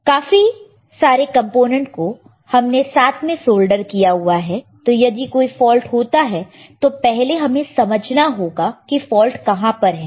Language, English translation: Hindi, So, many components solder together see soldering solder together, now if something happens and then there is a fault it is, we have to first understand, where is the fault